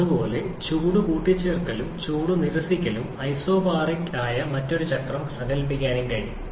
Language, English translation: Malayalam, Similarly, it is also possible to conceptualize another cycle where heat addition and heat rejection both are isobaric